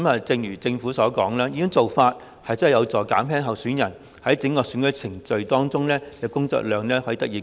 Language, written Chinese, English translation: Cantonese, 正如政府所說，這項改變的確有助減輕候選人在整個選舉程序中的工作量。, As pointed out by the Government this change can alleviate the workload of candidates throughout the election